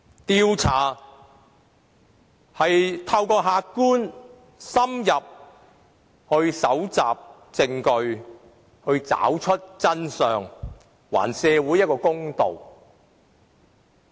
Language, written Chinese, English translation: Cantonese, 調查是透過客觀而深入地搜集證據，找出真相，還社會一個公道。, Investigation is a way to find out the truth and do justice to society through the collection of evidence in an objective and thorough manner